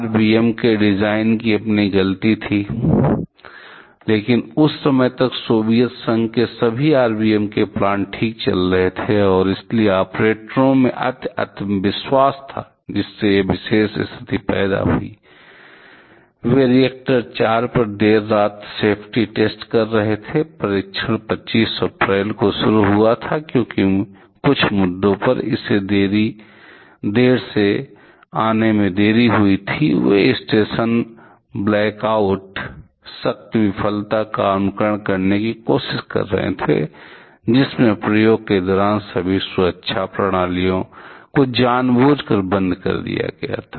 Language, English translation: Hindi, The RBMK design had its own fault, but till that moment all the RBMK plants in Soviet Union are operating fine; and so there were some kind some sense of overconfidence in the operators, which led to this particular situation; they are doing a late night safety test on the reactor 4; the test started on April 25, because of certain issues it was delayed to this late hours and they are trying to simulate station blackout power failure, in which and during that experiment is a part of the experiment all the safety systems were intentionally turned off